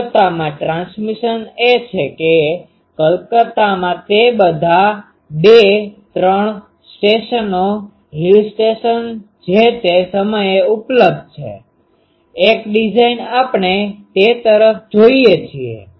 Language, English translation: Gujarati, In Calcutta, the transmission is that in Calcutta all the two, three stations, hill stations that time available, one design we look at up to that